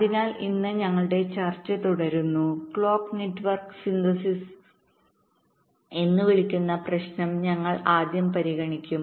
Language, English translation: Malayalam, today we shall be considering first the problem of the so called clock network synthesis